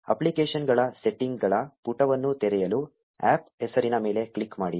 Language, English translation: Kannada, Click on the APP name to open the apps settings page